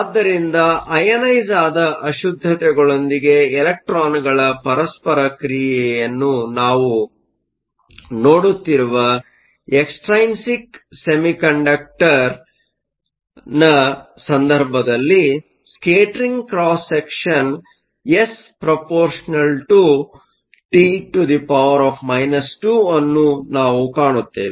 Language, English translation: Kannada, So, in the case of an extrinsic semiconductor, where we are looking at the interaction of the electrons with the ionized impurities, we find that the scattering cross section area S is proportional to T to the minus 2